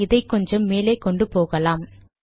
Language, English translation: Tamil, Let me just take it up a little bit